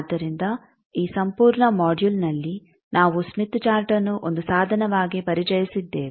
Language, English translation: Kannada, So, we have completed in this whole module that the smith chart has a tool has been introduce